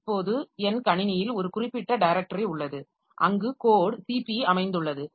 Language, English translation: Tamil, Now, there is a specific directory in my system where the code for CP is located